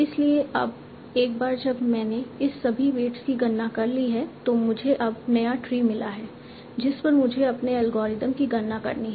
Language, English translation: Hindi, So now once I have computed all these weights I have now got the the new tree on which I have to compute my algorithm